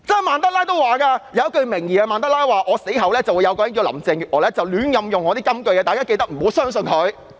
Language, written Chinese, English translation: Cantonese, 曼德拉可能有一句名言是："在我死後，會有一個名為林鄭月娥的人胡亂引用我的金句，大家記得不要相信她。, Mr MANDELA might say After I die there will be a person called Carrie LAM who will wrongly quote my words . You must not believe what she says